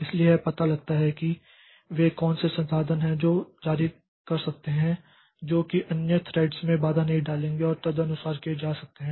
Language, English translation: Hindi, So, it can find out like what are the resources it can release that will not hamper other threads and accordingly it can take place